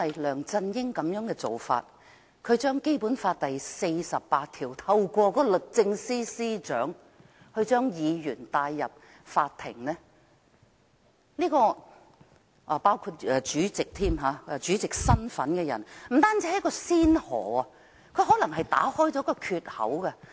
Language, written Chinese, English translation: Cantonese, 梁振英的做法是引用《基本法》第四十八條，透過律政司司長將議員甚至身份為主席的人帶上法庭，這不只是先河，更可能會打開缺口。, LEUNG Chun - yings invocation of Article 48 of the Basic Law to bring Members or even the President to court through the Secretary for Justice is the first of its kind . What is more he might have even opened the gate